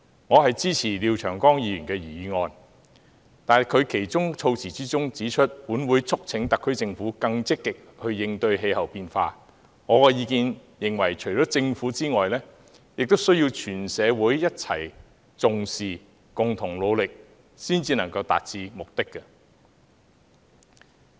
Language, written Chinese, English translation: Cantonese, 我支持廖長江議員的原議案，但對其議案中指"本會促請特區政府更積極應對氣候變化"，我認為除了政府外，全社會亦要一起重視，共同努力才能達到目的。, I support the original motion of Mr Martin LIAO but as it says [t]his Council urges the SAR Government to cope with climate change more proactively I think that apart from the Government all members of the community must attach importance to and work together to meet this objective